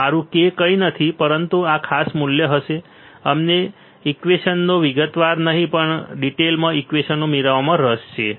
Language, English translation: Gujarati, My k is nothing, but this particular value now we are not interested in deriving the equations not in detail deriving equations